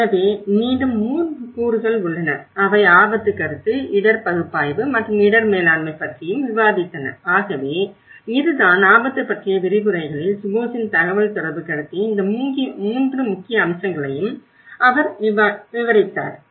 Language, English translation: Tamil, So, then again there are 3 components, which he also discussed was risk perception, risk analysis and the risk management so this is what most of the Shubhos lecturer on risk and also the communication, the perception, he covered these 3 important aspects